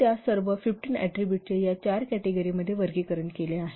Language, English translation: Marathi, So all those 15 attributes are categorized into these four categories